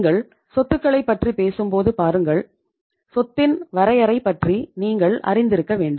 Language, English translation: Tamil, See when you talk about the assets, you must be knowing about the definition of asset